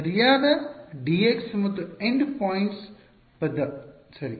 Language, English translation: Kannada, Correct dx and the end points term ok